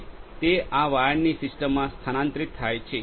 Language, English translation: Gujarati, And it is transferred to the system of wires to this location